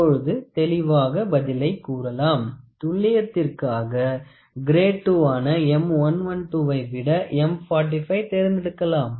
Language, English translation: Tamil, So, now, you can say the answer so, it is clear M 45 should be selected for more accuracy as compared to grade II of M 112